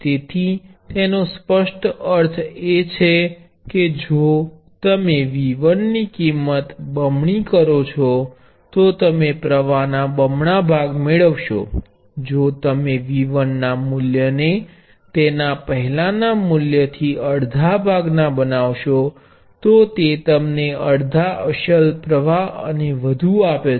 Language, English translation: Gujarati, So, this obviously means that if you double the value of V 1, you will get double the current, if you make the value V 1 half of what it was before, it gives you half the original current and so on